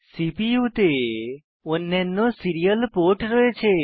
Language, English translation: Bengali, You may notice that there are other serial ports on the CPU